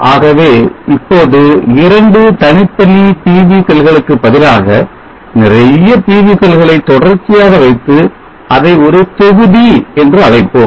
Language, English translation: Tamil, So now if you consider instead of two single PV cells, we put many PV cells in series and we call that one as module